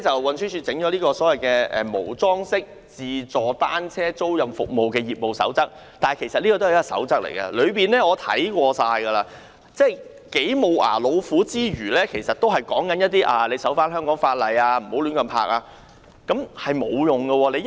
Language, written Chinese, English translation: Cantonese, 運輸署推出的《無樁式自助單車租賃服務業務守則》，我已看過有關內容，可說是"無牙老虎"，當中只要求營辦商遵守香港法例，不要將單車亂泊，根本沒有規管作用。, After reading the Code of Practice for Automated Dockless Bicycle Rental Services the Code issued by the Transport Department I found that it is a toothless tiger . The Code only requires service providers to comply with the laws of Hong Kong and not to park their bicycles inappropriately; it serves no regulatory purpose